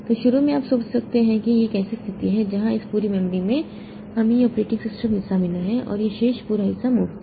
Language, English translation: Hindi, So, initially you can think that this we have got a situation where this whole memory we have got this operating system part and this entire remaining part is free